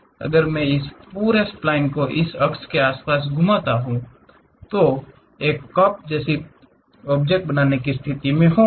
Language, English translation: Hindi, If I revolve this entire spline around this one, I will be in a position to construct a cup